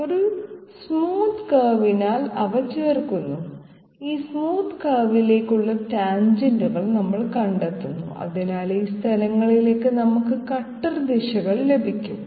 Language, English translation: Malayalam, We join them by a smooth curve, we find out that tangents to this smooth curve hence we get the cutter directions at these respective locations